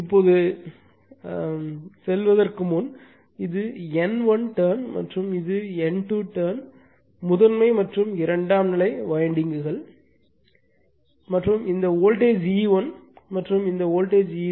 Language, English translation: Tamil, Now, before going to anything, so this is my N 1 turn and this is N 2 turn primary and secondary windings and this voltage is E 1 and this voltage is E 2, right